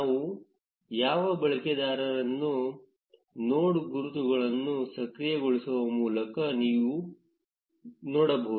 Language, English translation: Kannada, We can see which users these are by enabling the node labels